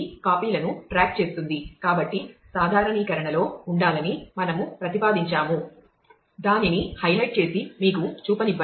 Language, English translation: Telugu, So, we propose to have under normalization we propose to have one which is let me just highlight and show you